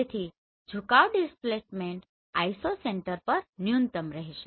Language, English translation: Gujarati, So now the tilt displacement will be minimum at Isocenter